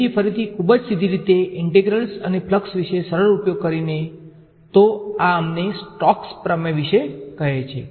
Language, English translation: Gujarati, So again very straightforward using the simple intuition about integrals and flux; so this tells us about the Stoke’s theorem